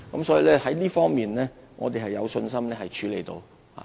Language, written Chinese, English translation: Cantonese, 所以，在這方面，我們有信心可處理得到。, Hence we are confident that we can tackle the problems involved in this regard